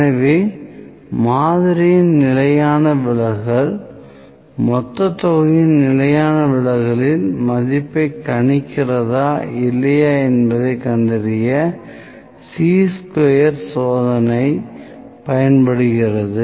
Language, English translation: Tamil, So, Chi square test is used to find that whether the standard deviation of the sample predicts the value of standard deviation of population or not, that is also based upon the significance level